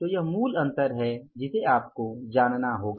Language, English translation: Hindi, So, this is a basic difference you have to know